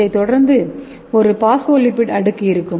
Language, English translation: Tamil, And it is consist of multiple phospholipids bilayers